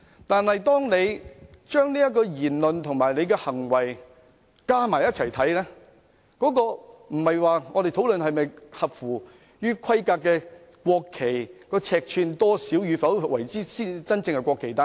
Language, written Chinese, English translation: Cantonese, 但當我們綜合他的相關言論和行為，我們要討論的便不是國旗是否合乎規格，又或者尺寸多少才算是真正的國旗。, But when we consider his relevant opinions and acts as a whole what we need to discuss is not whether the national flags meet the specifications or the measurements that make them genuine national flags